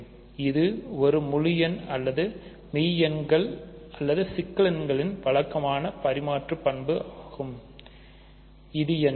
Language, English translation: Tamil, So, this is the usual distributive property of integers or real numbers or complex numbers what is this